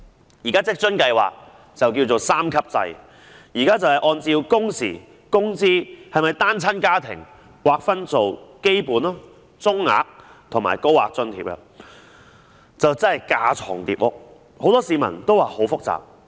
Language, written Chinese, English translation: Cantonese, 現時的職津計劃是三級制，按照工時、工資，以及是否單親家庭劃分基本、中額和高額津貼，可謂架床疊屋，很多市民也說十分複雜。, The existing WFAS is a three - tier scheme under which a Basic Allowance a Medium Allowance and a Higher Allowance are granted based on working hours wages and whether applicants are single - parent households . Such a redundant structure is regarded by many as grossly complicated